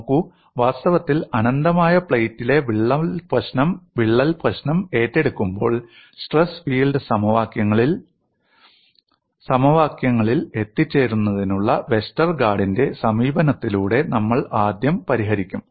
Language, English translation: Malayalam, See in fact, when we take up the problem of a crack in an infinite plate, we would first solve by Westergaard’s approach, in arriving at the stress field equations